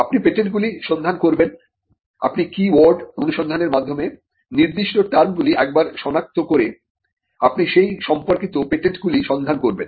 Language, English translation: Bengali, And you would look for patents, you by looking for once you identify certain terms through the keyword search you would look for related patents in that field